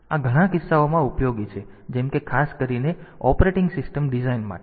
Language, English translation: Gujarati, So, this is useful in many cases like particularly for operating system design